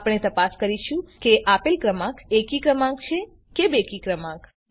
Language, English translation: Gujarati, We shall check if the given number is a even number or an odd number